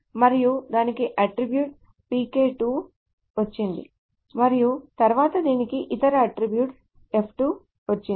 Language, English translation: Telugu, And this has got some attribute PK2 and then this has got some attribute, some other attribute F2